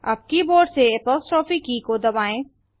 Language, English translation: Hindi, Now from the keyboard press the apostrophe key